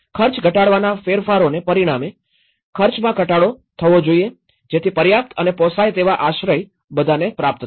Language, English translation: Gujarati, Whereas, the cost reduction changes must result in cost reduction so that adequate and affordable shelter is attaining for all